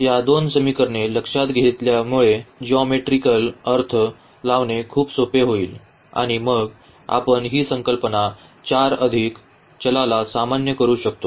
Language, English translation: Marathi, So, considering this these two equations because, the geometrical interpretation will be very easy and then we can generalize the concept for 4 more variables